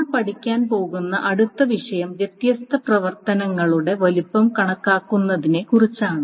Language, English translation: Malayalam, So what we are, the next topic that we are going to study is about estimating size of different operations, estimating size